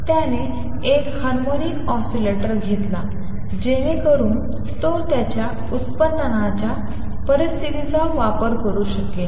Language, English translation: Marathi, He took an harmonic oscillator so that he could use his product conditions